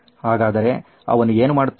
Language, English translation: Kannada, So what does he do